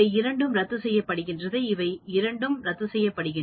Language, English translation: Tamil, So, these two will cancel, these two will cancel